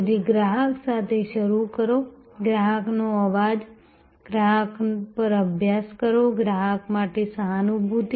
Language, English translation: Gujarati, So, start with the customer, voice of the customer, study at the customer, empathy for the customer